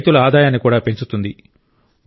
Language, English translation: Telugu, This is also increasingthe income of farmers